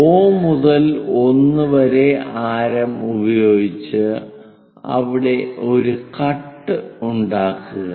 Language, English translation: Malayalam, Then O to 1 construct a radius make a cut there